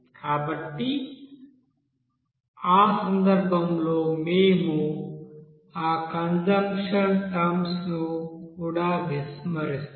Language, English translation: Telugu, So in that case we will also neglect that consumption terms